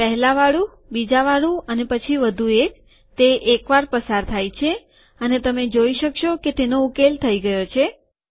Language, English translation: Gujarati, The first one, the second one, and then one more, it passes once, and you can see that it has been solved